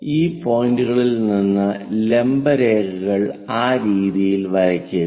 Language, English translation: Malayalam, And from those points draw vertical lines perpendicular lines in that way